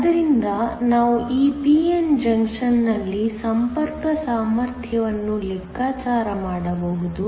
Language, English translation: Kannada, So, we can calculate the contact potential in this p n junction